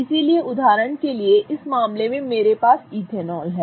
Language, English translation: Hindi, So, for example in this case I have ethanol